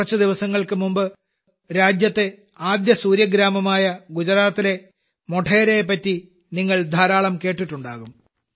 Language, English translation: Malayalam, A few days ago, you must have heard a lot about the country's first Solar Village Modhera of Gujarat